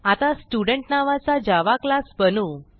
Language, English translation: Marathi, We will now create a Java class name Student